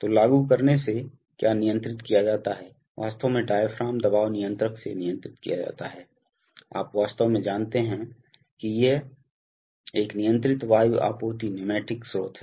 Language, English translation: Hindi, So, by applying, and what is controlled, what is controlled from the controller is actually the diaphragm pressure, you know actually there is a controlled air supply pneumatic source